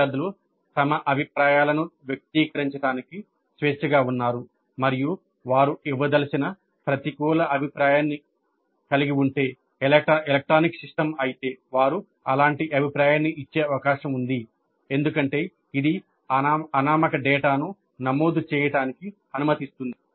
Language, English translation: Telugu, Because the feedback is electronic and it is anonymous, the students are free to express their opinions and if they have negative feedback which they wish to give they would be more likely to give such a feedback if the system is electronic because it permits anonymous data to be entered